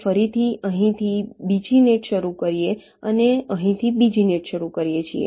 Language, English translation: Gujarati, we again start another net from here and another net from here